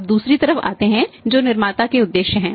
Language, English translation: Hindi, Now come to the next side that is the objectives of the manufacturer's